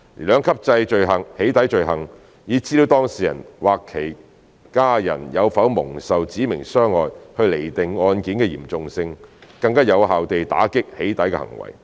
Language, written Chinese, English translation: Cantonese, 兩級制"起底"罪行以資料當事人或其家人有否蒙受"指明傷害"去釐定案件的嚴重性，更有效地打擊"起底"行為。, The two - tier offence of doxxing is more effective in combating doxxing by determining the seriousness of the case in terms of whether the data subject or his family has suffered specified harm